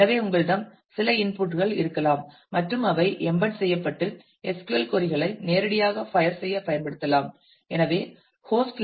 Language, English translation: Tamil, So, you may have some inputs to that and they can be used to directly fire embedded SQL queries